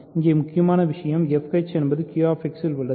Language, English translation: Tamil, So, here the crucial thing is f h is in Q X